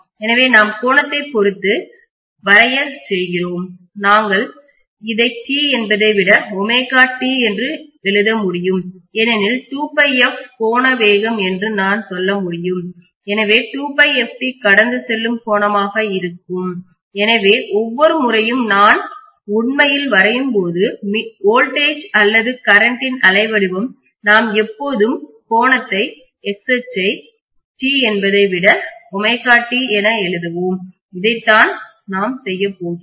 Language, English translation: Tamil, So then we are plotting with respect of angle, we can write this as omega t rather than t because I can say 2 pi f is the angular velocity so 2 pi f time t will be the angle that is traversed, so every time when we draw actually the wave form of voltage or current we will always write the angle write the x axis as omega t rather than t, this is what we are going to do